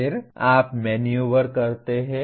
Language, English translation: Hindi, Then you maneuver